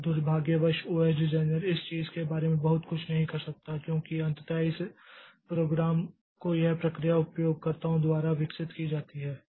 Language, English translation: Hindi, And unfortunately the OS designer cannot do much about this thing because ultimately these programs, these processes are developed by users